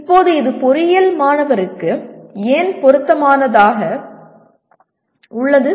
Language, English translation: Tamil, Now why is it relevant to the engineering student